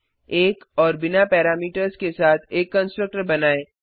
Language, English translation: Hindi, Also create a constructor with 1 and no parameters